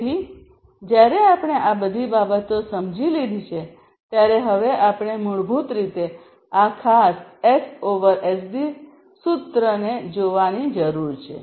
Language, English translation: Gujarati, So, while we have understood all of these things we now need to basically look at this particular S over SD formula